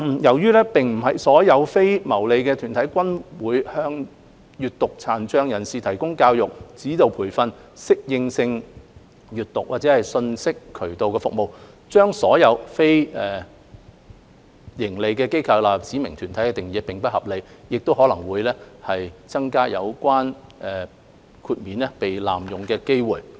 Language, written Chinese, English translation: Cantonese, 由於並非所有非牟利團體均會向閱讀殘障人士提供教育、指導培訓、適應性閱讀，或者信息渠道的服務，將所有非牟利機構納入指明團體的定義並不合理，亦可能會增加有關豁免被濫用的機會。, As not all non - profit - making bodies will provide education instructional training adaptive reading or information access to persons with a print disability it is not reasonable to include all non - profit - making bodies in the definition of specified bodies and there may also be a higher chance for the relevant exceptions to be abused